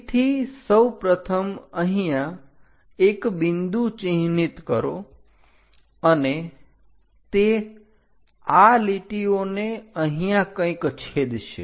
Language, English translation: Gujarati, From P first of all mark a point somewhere here and this one going to intersect somewhere on this lines